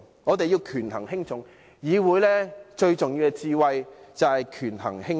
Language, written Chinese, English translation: Cantonese, 我們要權衡輕重，議會最重要的一種智慧就是權衡輕重。, We must prioritize and the wisdom in prioritizing is actually one of the most important qualities of the Legislative Council